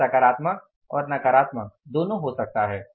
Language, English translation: Hindi, It can be both positive or negative